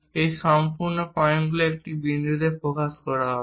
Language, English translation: Bengali, These entire points will be focused at one point